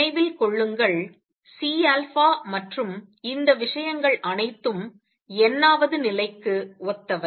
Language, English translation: Tamil, Remember, C alpha and all these things are corresponding to the nth level